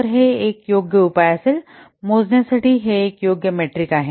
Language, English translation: Marathi, So it will be a suitable measure to it's a suitable metric to measure the effort